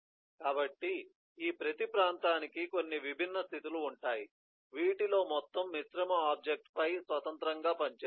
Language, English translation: Telugu, so these, every region will have certain eh different state of which will act independently on the overall composite object